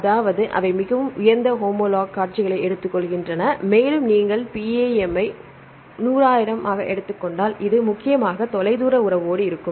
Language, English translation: Tamil, That means, they take highly highly homolog sequences and if you take the PAM one hundred one thousand this mainly with the distant relationship